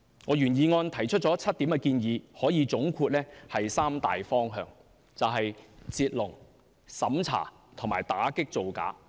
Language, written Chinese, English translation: Cantonese, 我原議案提出7項建議，可以總括為三大方向："截龍"、審查和打擊造假。, I have made seven proposals in my original motion . They can be summarized in three major directions to stop the queue to take back the vetting and approval power and to combat immigration frauds